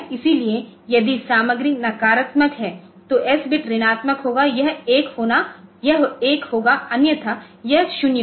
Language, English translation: Hindi, So, if that raises if the content is sign negative then the S bit will be negative it will be 1 otherwise it will be 0